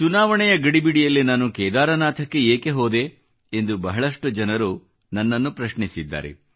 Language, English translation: Kannada, Amidst hectic Election engagements, many people asked me a flurry of questions on why I had gone up to Kedarnath